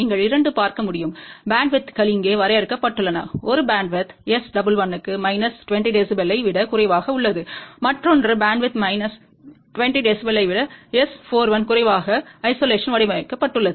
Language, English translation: Tamil, You can see that the 2 bandwidths are defined here, one bandwidth is for S 1 1 less than minus 20 dB, another bandwidth is designed for isolation S 4 1 less than minus 20 dB